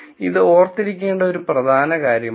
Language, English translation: Malayalam, So, this is an important thing to remember